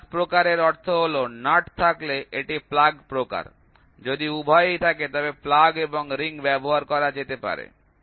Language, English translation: Bengali, Plug type means if there is a nut it is plug type, if there is both can be used plug and ring can be used here